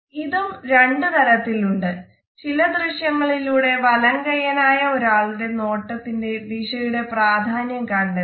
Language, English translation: Malayalam, It is also of two types, let us look at certain other visuals to find out the significance of this gaze direction in right handed people